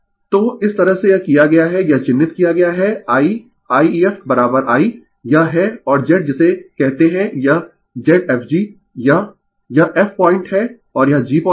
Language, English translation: Hindi, So, this way it has been it has been marked right your I your I ef is equal to I , this is I right and youryour Z your what you call this Z fg right this, this is your f point and this is g point